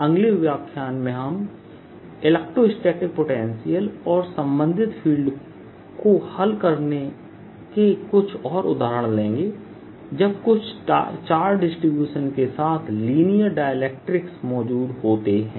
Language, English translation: Hindi, the next lecture will take a few more examples of solving for electrostatic potential and related field when in dielectric represent in to, along with some charge distribution